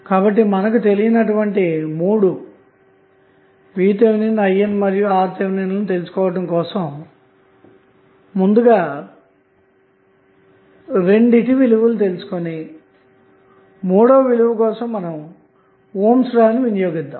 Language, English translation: Telugu, These are the three unknown quantities like V Th, I N and R Th so we need to calculate two of them and then we use the ohms law to find out the third one